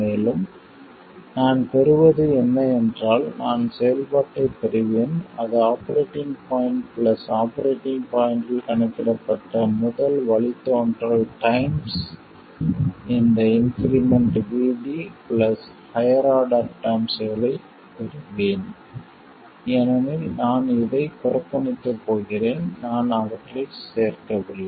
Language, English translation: Tamil, I will get the function at the operating point plus the first derivative calculated at the operating point times this increment VD plus higher order terms because I am going to neglect this I am not including them